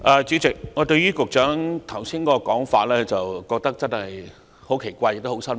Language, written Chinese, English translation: Cantonese, 主席，我對於局長剛才的說法感到十分奇怪及失望。, President I am very surprised and disappointed that the Secretary has just given such a remark